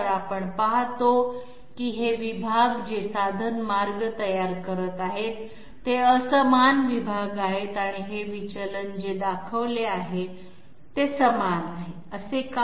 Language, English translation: Marathi, So we observe that these segments which are building up the tool path, they are unequal segments and these deviations which are shown, these are equal, why so